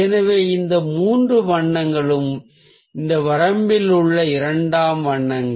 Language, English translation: Tamil, so these three colours are the secondary colours in this range